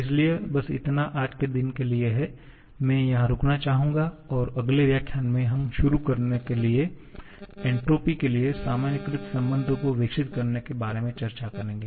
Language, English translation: Hindi, So, that is it for the day, I would like to stop here and in the next lecture, we shall be discussing about developing the generalized relations for entropy to start with